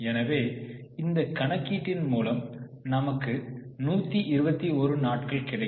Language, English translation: Tamil, So, you get 121 days